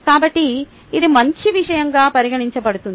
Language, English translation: Telugu, so this is considered as a good thing